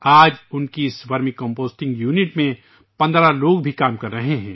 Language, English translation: Urdu, Today 15 people are also working in this Vermicomposting unit